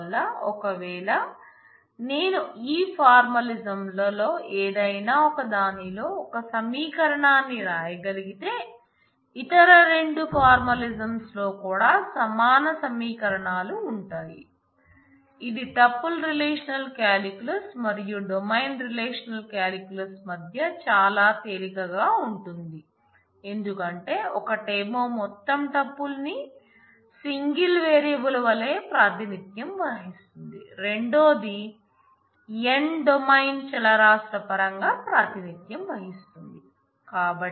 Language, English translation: Telugu, So, if I can write an expression in any one of these formalisms then there are equivalent expressions in the other two formalisms as well which is probably very easy to see between, tuple relational calculus and domain relational calculus because 1 is just representing the whole tuple as a single variable whereas, the other is representing it in terms of n domain variables